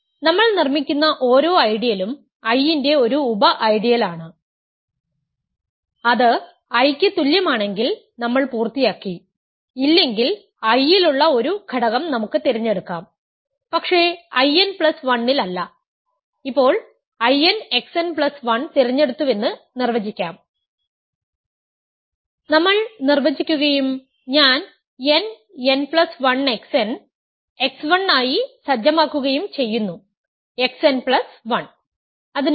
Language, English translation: Malayalam, Every ideal that we are constructing is a sub ideal of I, if it is equal to I, we are done, if not, we can choose an element which is in I, but not in I n plus 1 and define now having chosen I n x n plus 1, we define and we set I n plus 1 to be x 1 through x n comma x n plus 1